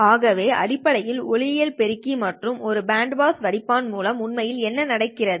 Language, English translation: Tamil, So this is essentially what is actually happening with an optical amplifier and a band pass filter